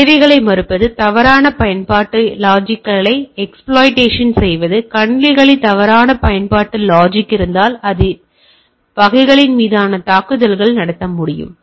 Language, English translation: Tamil, Denial of services, exploitation of faulty application logic, if there is a faulty application logic in the systems, if it is there then I can do a attack on the type of things